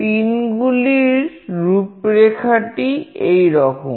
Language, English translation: Bengali, The pin configuration goes like this